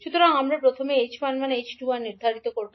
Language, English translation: Bengali, So we will first determine the h11, h21